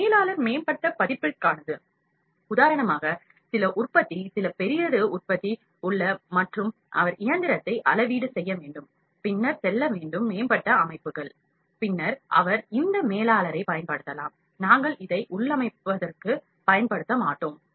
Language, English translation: Tamil, This is for the advance, for instance some manufacture is there some big manufacture is there and the need to he need to calibrate the machine, then need to go to the advanced settings, then he can use this manger we would not use this next one is configuration